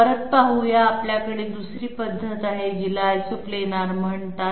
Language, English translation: Marathi, Coming back, we have another method which is called Isoplanar